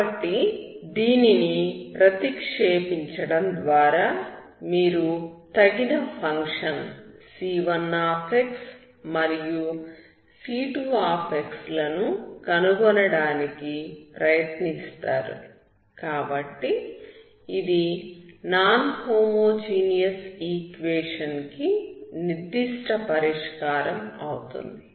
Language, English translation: Telugu, So by substituting this, you try to find suitable function c1 and c2 so that will be particular solution of a non homogeneous equation